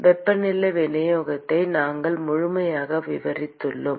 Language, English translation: Tamil, We have completely described the temperature distribution